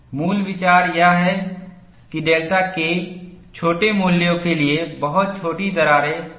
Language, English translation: Hindi, The basic idea is, very short cracks may not propagate for small values of delta K